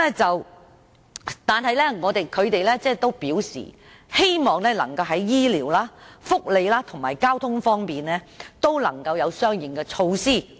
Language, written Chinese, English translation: Cantonese, 不過，他們表示希望在醫療、福利和交通方面能夠落實相應措施。, Nevertheless they hope to see the implementation of corresponding health care welfare and transport measures